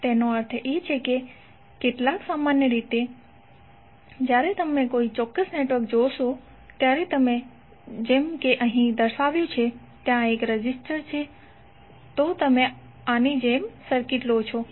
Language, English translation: Gujarati, So what does it mean, some generally when you see a particular network like if you represent here there is a resistor, if you take the circuit like this